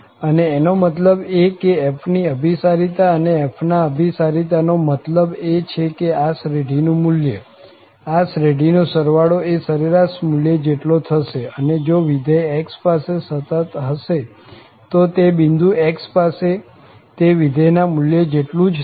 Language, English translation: Gujarati, So, it implies the convergence of f and the convergence says that the value of this series, the sum of the series will be equal to the average value, and if the function is continuous at that x, then it will be simply the functional value at that particular point x